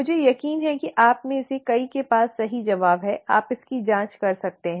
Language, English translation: Hindi, I am sure many of you have the right answer, you can check this